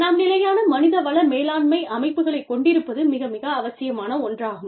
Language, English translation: Tamil, It is very, very, important for us to have, sustainable human resource management systems